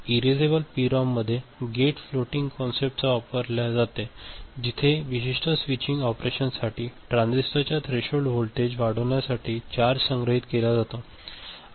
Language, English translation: Marathi, Erasable PROM uses floating gate concept where charge is stored to increase the threshold voltage of the transistor for a specific switching operation